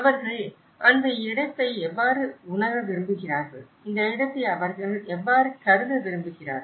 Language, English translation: Tamil, How they want to perceive this place, how they want to conceive this place